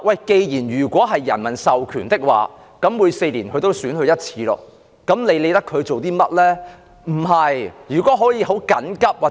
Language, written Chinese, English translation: Cantonese, 既然議員由人民授權，每4年都要接受選舉的洗禮，是否便無需理會其行為呢？, As Members are given mandate by the people and have to stand the test of election every four years does it mean that there is no need to take their behaviours seriously?